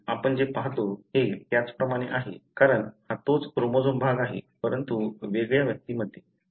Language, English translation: Marathi, This is exactly the same like what you see, because, this is the same chromosomal region, but in different individual